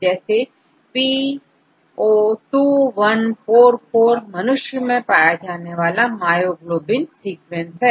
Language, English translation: Hindi, P02144 is the myoglobin sequence of human, as you could see the organism and the name